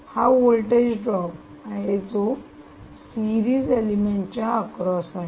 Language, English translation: Marathi, that is the voltage that has to drop across the series element